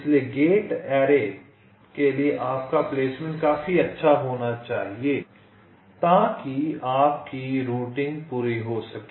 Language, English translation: Hindi, so again for gate array, your placement should be good enough so that your routing can be completed